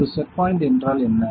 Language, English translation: Tamil, So, what is a set point